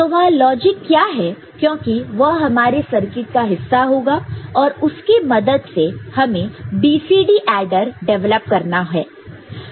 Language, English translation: Hindi, So, what is that logic because it will be part of the circuit right, you have to develop the corresponding adder BCD adder